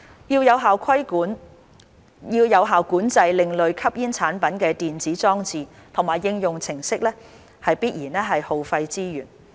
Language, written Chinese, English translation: Cantonese, 要有效管制另類吸煙產品的電子裝置和應用程式，必然耗費資源。, Effective control of electronic devices and applications of ASPs would certainly incur resources